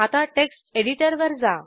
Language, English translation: Marathi, Now come back to text editor